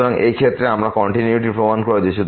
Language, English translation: Bengali, So, in that case we have proved the continuity